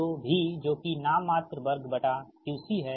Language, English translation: Hindi, so v r that is nominal right square upon x c